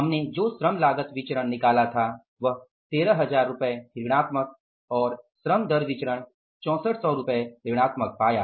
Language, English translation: Hindi, Labor cost variance we found out was 13,000 negative and labor rate of pay variance we found out as a 6,400 negative